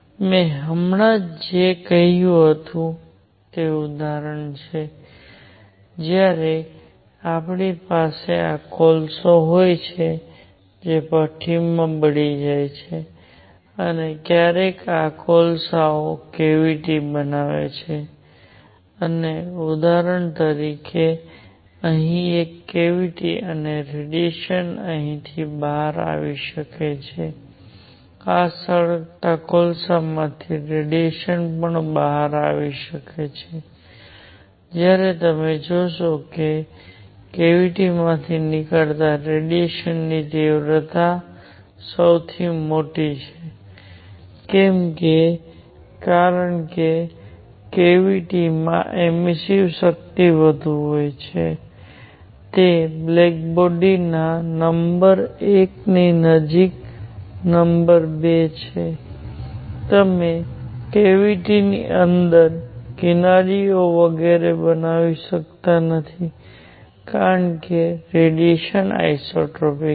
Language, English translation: Gujarati, Whatever I said just now example is; when you have these coals which are burnt in a furnace and sometime these coals form a cavity and for example, here could be a cavity and radiation coming out of here, radiation also coming out of these burning coals, what you will notice that intensity of radiation coming out of the cavity is largest; why, because cavity has higher emissive power, it is closer to black body number 1